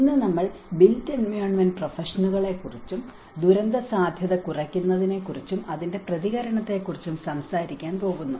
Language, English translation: Malayalam, Today, we are going to talk about the built environment professions and disaster risk reduction and response